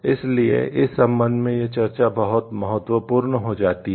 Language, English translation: Hindi, So, this in this connection this discussion becomes very important